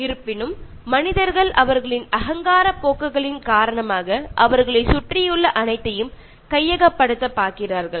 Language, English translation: Tamil, However, human beings, owing to their egoistic tendencies seek possession of everything surrounding them